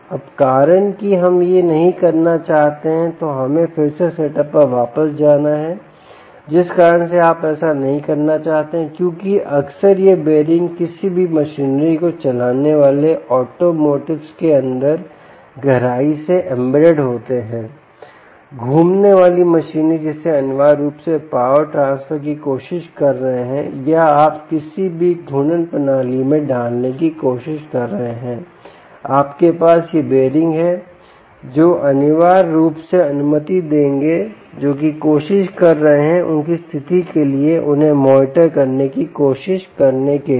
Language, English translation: Hindi, right now, the reason why we dont want to do that let us go back to the setup again the reason you dont want to do that is because most often these bearings are deeply embedded inside automotives, any run, any machinery, which rotating machinery, which essentially you are trying to transfer power or you are trying to put in any rotating systems